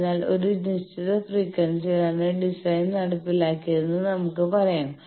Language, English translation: Malayalam, So, let us say that design has been carried out at a certain frequency